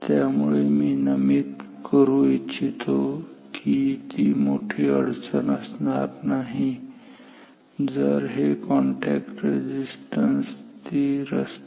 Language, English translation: Marathi, So, let me now note that it would not be a huge problem if the contact resistances were constant